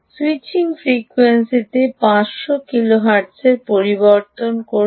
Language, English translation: Bengali, change the switching frequency to ah five hundred kilohertz